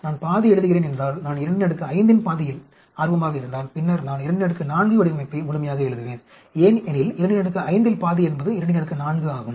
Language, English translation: Tamil, If I am writing half, if I am interested in half of 2 power 5, then I will write the 2 power 4 design fully because half of 2 power 5 is 2 power 4